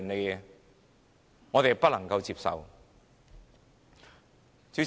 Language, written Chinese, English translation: Cantonese, 這是我們不能接受的。, This is utterly unacceptable to us indeed